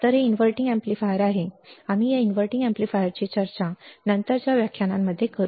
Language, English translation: Marathi, So, this is inverting amplifier, we will discuss this inverting amplifier in the subsequent lectures, right